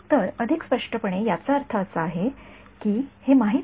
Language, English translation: Marathi, So, more precisely means it is known